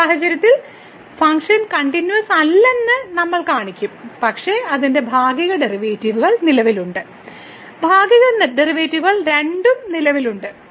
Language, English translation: Malayalam, In this case, we will show that the function is not continuous, but its partial derivatives exist; both the partial derivatives exist